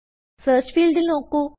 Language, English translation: Malayalam, Notice, the Search field